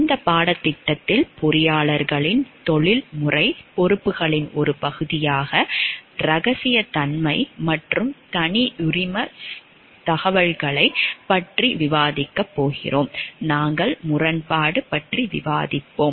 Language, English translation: Tamil, As a part of the professional responsibilities of the engineers in this course we are going to discuss about confidentiality and proprietary information, we will be discussing about conflict of interest